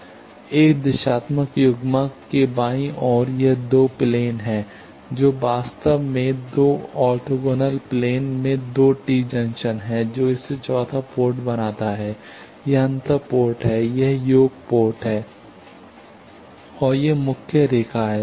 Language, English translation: Hindi, Left side of a directional coupler it is the 2 planes actually 2 tee junctions in 2 orthogonal planes that makes it the fourth port is here, this is the difference port, this is the sum port and this is the main line